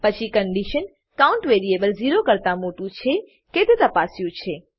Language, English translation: Gujarati, Then the condition whether the variable count is greater than zero, is checked